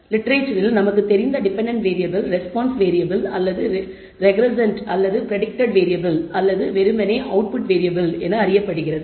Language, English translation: Tamil, The idea of a dependent variable which is known also in the literature as a response variable or regressand or a predicted variable or simply the output variable